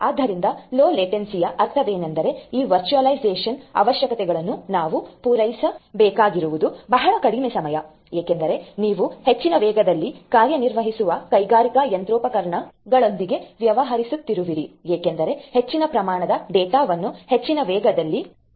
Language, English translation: Kannada, So, low latency; that means, very little less time we will have to cater to these virtualization requirements, because you are dealing with industrial machinery operating in very high speeds throwing large amount of data actuating in very high speed and so on